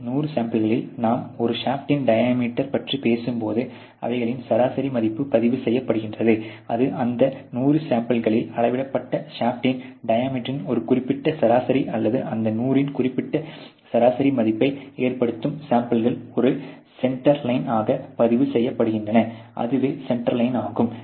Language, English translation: Tamil, In this 100 samples you have an average value which is recorded when you are talking about diameter of a shaft, it may be the diameter of the shaft measured in those 100 samples which cause a certain mean or a certain average value of that 100 samples being a recorded as a center line that is the center line